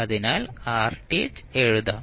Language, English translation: Malayalam, So, you will simply write rth